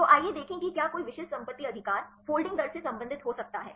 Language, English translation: Hindi, So, let us see whether any specific property right can relate the folding rate right